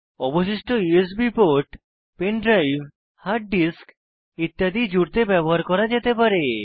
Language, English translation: Bengali, The remaining USB ports can be used for connecting pen drive, hard disk etc